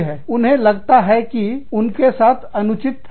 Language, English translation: Hindi, But, they feel that, this is unfair for them